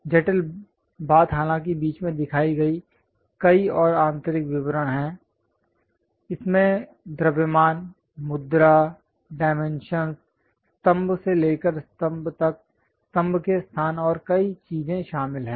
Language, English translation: Hindi, The complicated thing though having many more inner details shown at the middle; it contains mass, pose, the dimensions, pillar to pillar locations, and many things